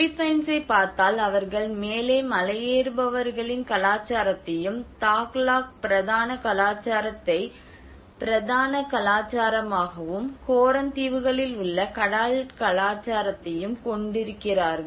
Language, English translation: Tamil, Like if you see the Philippines, you have the mountaineers culture on the top, and you have the mainstream culture The Tagalog mainstream culture, and you have the sea culture which is the Coran islands